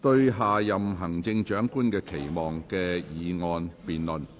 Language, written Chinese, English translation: Cantonese, "對下任行政長官的期望"的議案辯論。, The motion debate on Expectations for the next Chief Executive